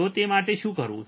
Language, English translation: Gujarati, So, for what to do that